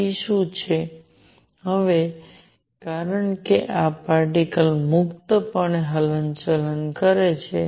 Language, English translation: Gujarati, What is p, now since this is particle moving freely